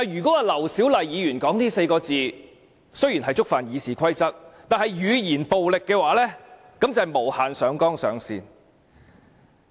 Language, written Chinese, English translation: Cantonese, 但是，劉小麗議員說出這4個字，雖然觸犯《議事規則》，但說這是語言暴力的話，便是無限上綱上線。, Although Dr LAU Siu - lai has violated the Rules of Procedure it stretches too far to say that this is verbal violence . Pro - establishment Members are exaggerating and labelling others at will; they distort the facts and make slanderous accusations